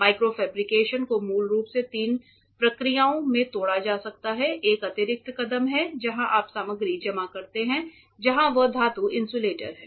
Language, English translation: Hindi, Micro fabrication can fundamentally be broken down to three processes, one is an addition step where you deposit material be it metals insulators anything